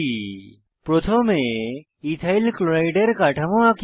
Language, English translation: Bengali, Let us first draw structure of Ethyl chloride